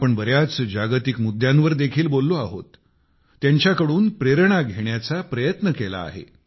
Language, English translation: Marathi, We also spoke on many global matters; we've tried to derive inspiration from them